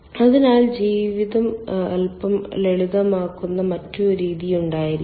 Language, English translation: Malayalam, so there should be some other method where the life is little bit simple